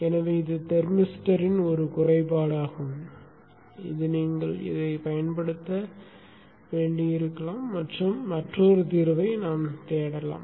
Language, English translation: Tamil, So this is one disadvantage of the thermister which you may have to live with or look for another solution